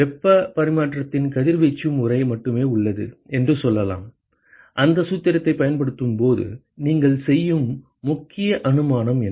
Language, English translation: Tamil, Let us say there is only radiation mode of heat exchanging, what is the key assumption that you make when you use that formula